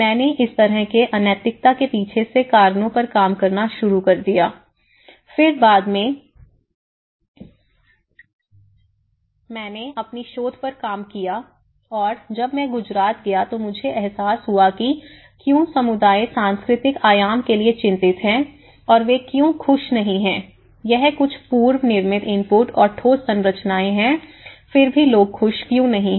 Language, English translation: Hindi, I started working on the reasons behind these kind of unoccupancy, then, later on I worked on my thesis and then I realized when I went to Gujarat I realized how the communities are worried about the cultural dimension and especially, why they are not happy with certain prefab inputs and though it is concrete structures, why still people would not happy